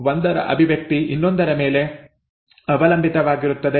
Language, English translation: Kannada, Expression of one is dependent on the other